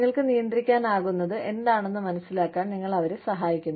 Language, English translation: Malayalam, You help them understand, what you can control